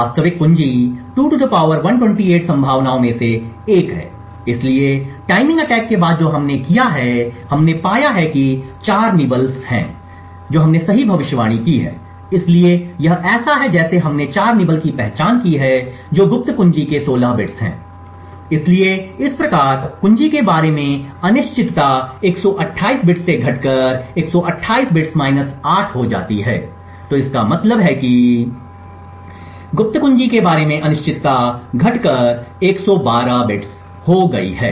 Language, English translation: Hindi, The actual key is one among 2 ^ 128 possibilities, so after the timing attack which we have done we found that there are 4 nibbles that we have predicted correctly, so therefore it is like we have identified 4 that is 16 bits of the secret key, so thus the uncertainty about the key reduces from 128 bits to 128 bits minus 8, so this means the uncertainty about the secret key has reduced to 112 bits